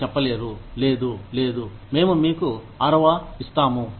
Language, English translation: Telugu, You cannot say, no, no, we will give you sixth